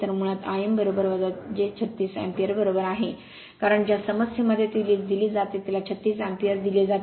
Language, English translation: Marathi, So, basically I m is equal to minus j 36 ampere right because in the problem it is given, it is given 36 ampere